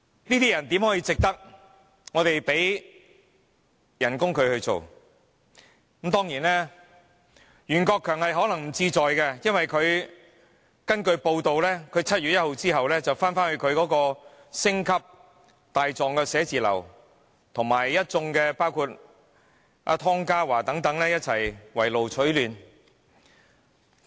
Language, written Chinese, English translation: Cantonese, 這種人怎值得我們支付薪酬，當然袁國強可能不在乎，因為根據報道，他在7月1日之後便會重回他的星級大狀寫字樓，以及與包括湯家驊等一眾圍爐取暖。, Such a person does not deserve us paying him salaries . Of course Rimsky YUEN may not care because it has been reported that he will return to his stellar chambers after 1 July and comfort each other with people like Ronny TONG